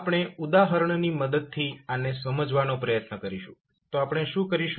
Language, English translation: Gujarati, We will try to understand the fact with the help of an example, so what we will do